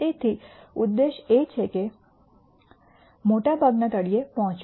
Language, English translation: Gujarati, So, the aim is to reach the bottom most region